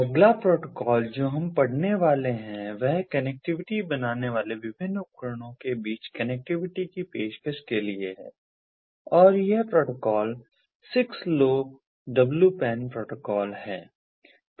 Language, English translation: Hindi, the next protocol that we are going to go through is also for offering connectivity between different devices forming the connectivity, and this protocol is the six lowpan protocol